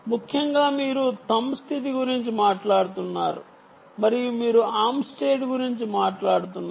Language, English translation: Telugu, ok, essentially you are talking about thumb state, ok, and you are talking about the arm state